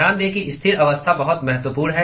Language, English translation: Hindi, Note that steady state is very important